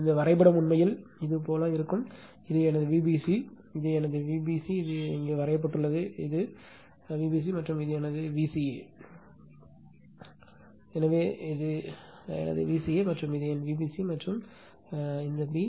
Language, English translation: Tamil, This diagram actually it will be like this, this is my V bc, so this is my V bc this is drawn for here, this is V bc and this is my V ca, so this is my V ca this one, so this is my V ca and this is my V bc and this b